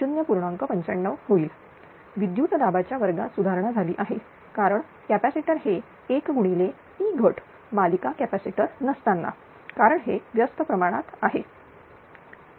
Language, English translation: Marathi, 95 square voltage are improve because of capacitor is one into your Ploss without series capacitor because it is inversely proportional